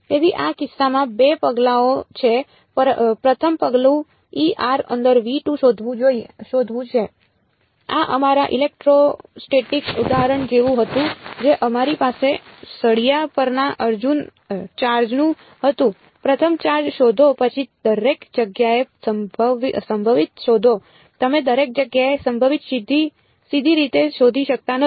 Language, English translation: Gujarati, So, the 2 steps are in this case the first step is find E of r inside v 2, this was like our electrostatic example we had of the charge on the rod first find the charge then find the potential everywhere you cannot directly find the potential everywhere